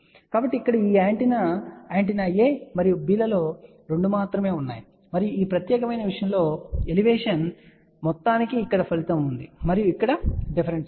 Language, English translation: Telugu, So, here only 2 of these antenna, antenna A and B, and here is the result for some of Elevation in this particular thing and here is the difference